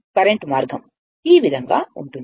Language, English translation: Telugu, The current will take path like this, right